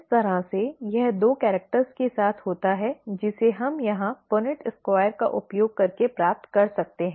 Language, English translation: Hindi, This is how it happens with two characters which we can get an idea by using the Punnett Squares here